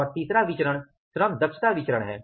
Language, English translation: Hindi, And then we talk about the labor efficiency variance